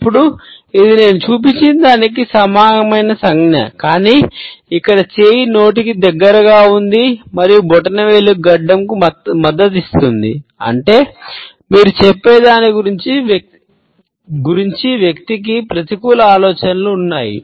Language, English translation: Telugu, Now, this is a similar gesture to the one I have just shown, but here the hand is nearer to the mouth and the thumb is supporting the chin, which means that the person has negative thoughts about what you are saying